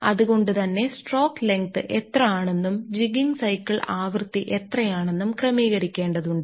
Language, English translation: Malayalam, So, this is how we have to adjust that is your ah what should be the stroke length, what should be the frequency of my jigging cycle